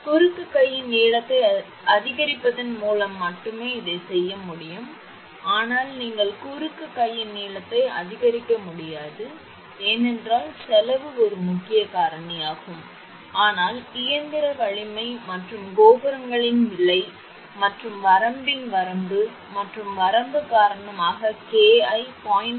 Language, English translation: Tamil, This can be done only by increasing the length of the cross arm, but you cannot increase the length of the cross arm, because cost is a major factor, but due to the limits and limitation of mechanical strength and cost of towers right, the value of K cannot be reduce to less than 0